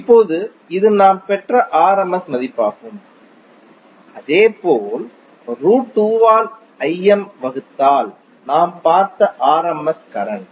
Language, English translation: Tamil, Now this is the rms value which we just derived and similarly im by root 2 is also the rms current we just saw